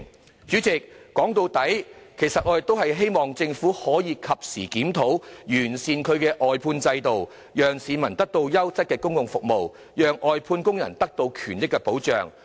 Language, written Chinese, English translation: Cantonese, 代理主席，說到底，我們希望政府可以及時進行檢討，完善外判制度，讓市民獲得優質的公共服務，使外判工人的權益獲得保障。, Deputy President after all we hope that the Government can conduct a timely review to perfect the outsourcing system so that members of the public will receive public services of quality and the rights and interests of outsourced workers will be protected